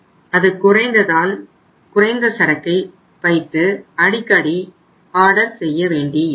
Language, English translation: Tamil, It came down so you have to keep the lesser inventory and you have to frequently order